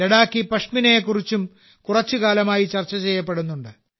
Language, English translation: Malayalam, Ladakhi Pashmina is also being discussed a lot for some time now